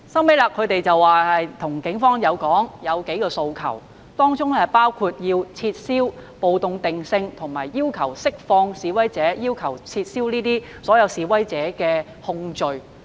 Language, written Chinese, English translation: Cantonese, 最後，他們向警方表達數項訴求，當中包括撤銷暴動罪定性，以及要求釋放示威者，要求撤銷示威者的控罪。, At the end they made demands to the Police including withdrawal of the riot categorization release of protesters and dropping of the charges against protesters